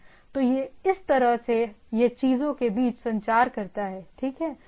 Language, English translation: Hindi, So, this way it goes on communicating between the things, right